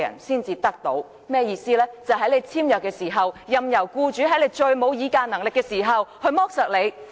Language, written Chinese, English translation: Cantonese, 便是在僱員與僱主簽約時，任由僱主在僱員最沒有議價能力時剝削他們。, It means that when signing an employment contract the employer can exploit an employee who has the least bargaining power